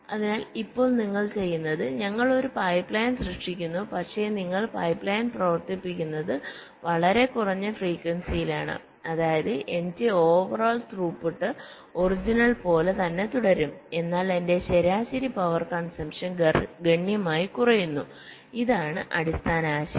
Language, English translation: Malayalam, we make a pipe line, all right, but you run the pipe line at a much slower frequency, such that my over all throughput remains the same as the original, but my average power consumption drastically reduces